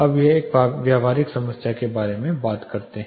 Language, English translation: Hindi, Let us talk about a practical problem now